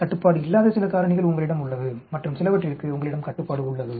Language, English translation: Tamil, There are some factors which you do not have control and some you have control